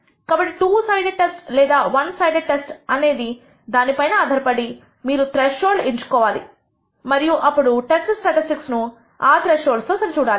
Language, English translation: Telugu, So, depending on the type of test whether its two sided or one sided you choose thresholds and then compare the test statistics against those thresholds